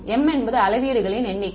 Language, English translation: Tamil, m is the number of measurements